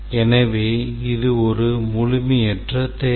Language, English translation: Tamil, So, that's an incorrect requirement